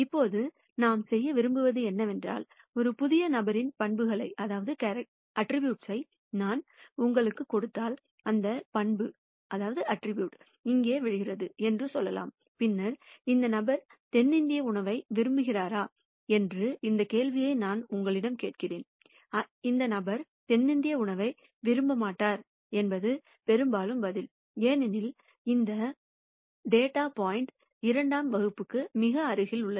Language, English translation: Tamil, Now what we want to do is, if I give you the attributes of a new person, let us say that attribute falls here and then I ask you this question as to would this person like South Indian food or not like South Indian food and the answer would most likely be that this person will not like South Indian food, because this data point is very close to class 2